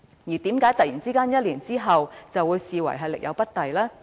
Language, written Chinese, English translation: Cantonese, 為何在1年之後會突然被視為力有不逮呢？, How come she was suddenly rated as an incompetent officer in just one year?